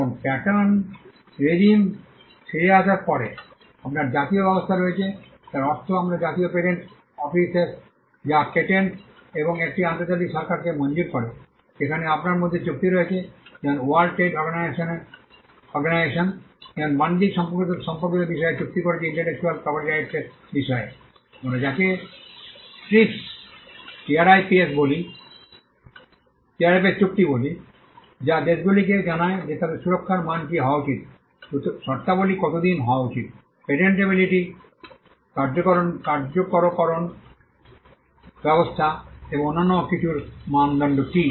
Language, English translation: Bengali, Now, coming back to the pattern regime so, you have the national regime by which we mean the National Patent Offices, which grants the patents and an international regime where in you have treaties which like the World Trade Organization has a agreement on trade related aspects of intellectual property rights, what we call the TRIPS agreement which gives which tells the countries what should be the standard of protection they should have, how long the terms should be, what are the criteria for patentability, enforcement mechanisms and many other things